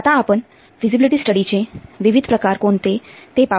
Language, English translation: Marathi, Now let's see what are the different types of feasibility study